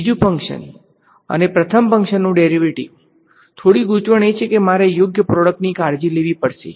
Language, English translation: Gujarati, Second function and derivative of first function, slight complication is I have to take care of products right